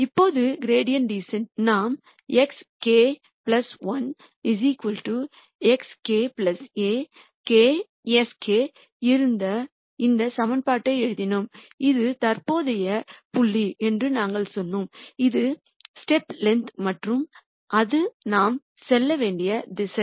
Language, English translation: Tamil, Now, in gradient descent we wrote this equation where we had x k plus 1 equals x k plus alpha k sk, we said this is the current point, this is the step length and this is the direction in which we should move